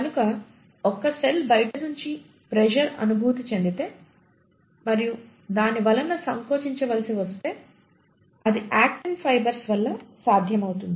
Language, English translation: Telugu, So if a cell has experienced some sort of an external pressure from outside and the cell needs to contract for example this contraction would be possible, thanks to the actin fibres